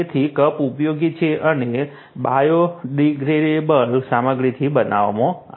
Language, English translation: Gujarati, So, the cups are usable and made with biodegradable material